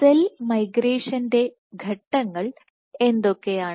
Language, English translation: Malayalam, So, what are the steps of cell migration